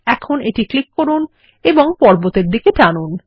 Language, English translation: Bengali, Now click and drag towards the mountain